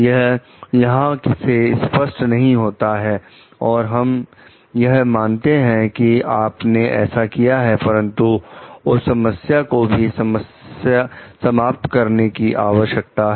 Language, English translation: Hindi, So, that is not clear from here and we assume maybe that you have done it, but that issue needs to be checked also